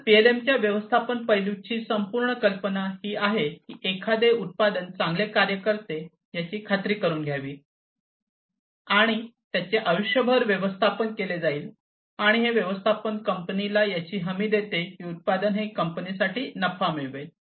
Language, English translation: Marathi, So, the whole idea in the management aspect of PLM is to ensure that a product works well, it is managed across its lifecycle and the management guarantees that the product will earn the profit for the company